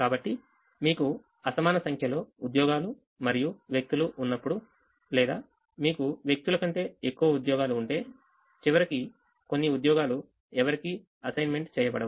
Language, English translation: Telugu, so when you have an unequal number of jobs and people, if you have more jobs than people, then some jobs at the end will not be assigned to anybody